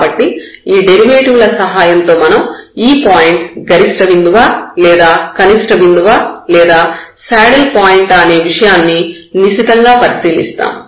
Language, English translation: Telugu, So, with the help of these derivatives we will investigate further whether this point is a point of maximum or it is a point of minimum or it is a saddle point